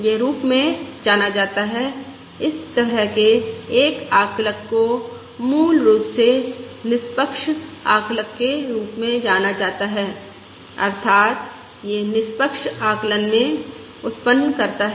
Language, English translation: Hindi, such an estimator is basically known as an is basically known as an Unbiased Estimator, that is, it yields in unbiased